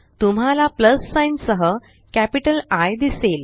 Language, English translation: Marathi, You will see a plus sign with a capital I